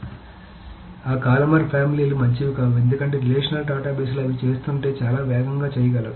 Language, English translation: Telugu, So for that, columnar families are not good because the relational databases can do it much faster if they are doing it